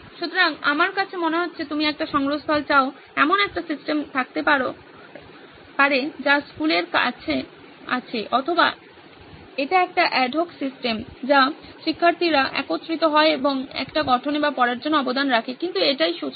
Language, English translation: Bengali, So, it looks to me like you want a repository, could be on a system that the school has or it is an adhoc system that the students get together and contribute towards a build or read it could be but this is the starting point